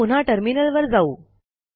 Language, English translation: Marathi, Let us switch back to the terminal